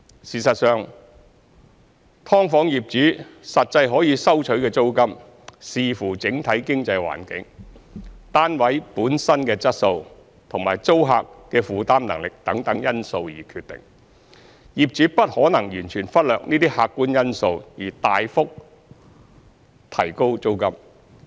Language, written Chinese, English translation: Cantonese, 事實上，"劏房"業主實際可以收取的租金，視乎整體經濟環境、單位本身的質素及租客的負擔能力等因素而決定，業主不可能完全忽略這些客觀因素而大幅提高租金。, In fact the actual rent that an SDU landlord can charge depends on the overall economic environment the quality of the flat the affordability of tenants and other factors . It is impossible for a landlord to ignore these objective factors and raise the rent substantially